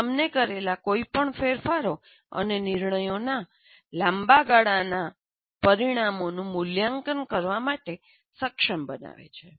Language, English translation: Gujarati, This enables you to evaluate the long term consequences of any changes and decisions that you make